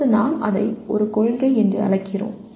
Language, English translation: Tamil, Only thing we now call it a principle